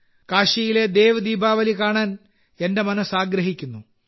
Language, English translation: Malayalam, And I always feel like witnessing 'DevDeepawali' of Kashi